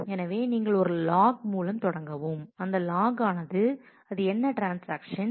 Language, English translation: Tamil, So, you start with a log which says that what is the transaction and what is the operation